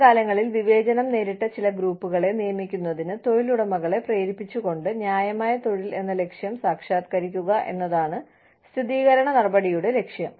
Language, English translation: Malayalam, Affirmative action aims to, accomplish the goal of fair employment, by urging employers, to hire certain groups of people, who were discriminated, against in the past